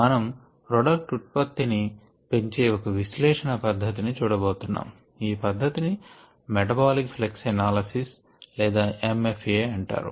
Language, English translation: Telugu, we are going to look at a method of analysis toward improving product yields, and that method is called metabolic flux analysis, or m f a for short